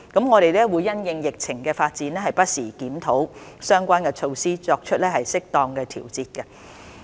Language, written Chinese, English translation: Cantonese, 我們會因應疫情的發展，不時檢討相關措施，以作出適當調節。, We will review the relevant measures from time to time in order to make timely adjustments in response to the development of the epidemic